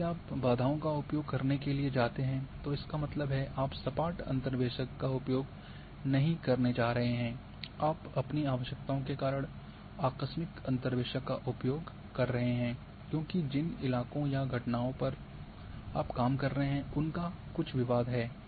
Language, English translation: Hindi, So, whenever you go for use the barriers that means, you are not going for smooth interpolators you are going for abrupt interpolator, because your requirements, because the terrain or phenomena on which you are working is having those issues